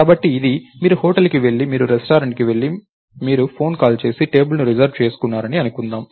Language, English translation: Telugu, lets say you go to a restaurant you make a phone call and you reserve a table right